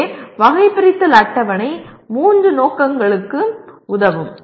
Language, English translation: Tamil, So taxonomy table can serve all the three purposes